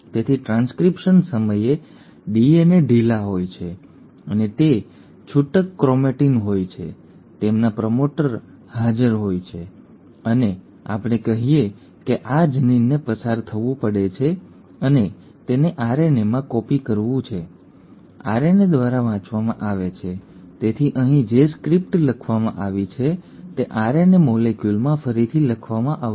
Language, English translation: Gujarati, So at the time of transcription the DNA is loose and it is loose chromatin, their promoter is present and let us say this gene has to pass on and it has to be copied into an RNA, read by the RNA, so the script which is written here is going to be rewritten into an RNA molecule